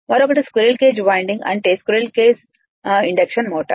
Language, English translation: Telugu, Another is the squirrel cage winding that is squirrel case induction motor right